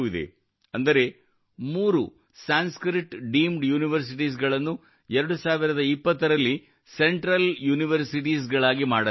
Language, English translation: Kannada, For example, three Sanskrit Deemed Universities were made Central Universities in 2020